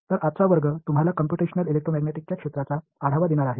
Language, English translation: Marathi, So today’s class is going to give you an overview of the field of Computational Electromagnetics